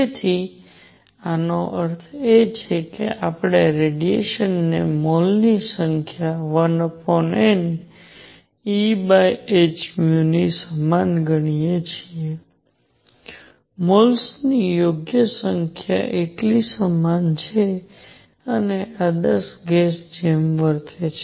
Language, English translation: Gujarati, So, this means, we can consider the radiation as having number of moles equals 1 over N E over h nu, right number of moles equals this much and behaving like an ideal gas